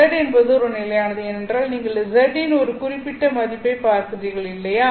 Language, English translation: Tamil, Again, this is a function of z because you are evaluating a different values of z